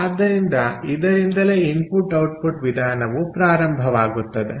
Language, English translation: Kannada, so thats the input output method comes from there